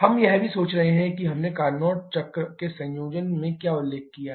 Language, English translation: Hindi, We can also think about what we mentioned in conjunction with Carnot cycle